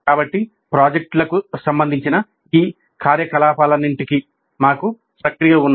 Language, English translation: Telugu, So we have processes for all these activities related to the projects